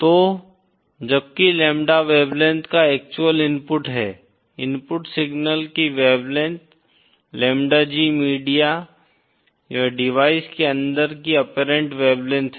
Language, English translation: Hindi, So while lambda is the actual input of wavelength, wavelength of the input signal, lambda G is the apparent wavelength inside the media or the device